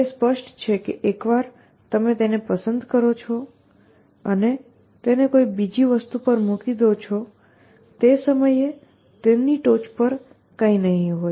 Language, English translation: Gujarati, It is obvious that once you pick it up and put it down on something else, there will be nothing top of that at that instant